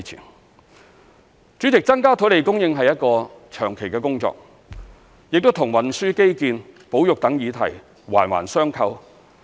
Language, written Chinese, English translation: Cantonese, 代理主席，增加土地供應是一項長期的工作，亦與運輸基建、保育等議題環環相扣。, Deputy President increasing land supply is a long - term task and is closely related to issues such as transport infrastructure and conservation